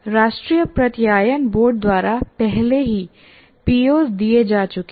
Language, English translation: Hindi, O's are already given by National Board of Accreditation